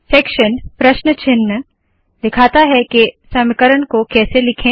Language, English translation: Hindi, Section, question marks shows how to write equations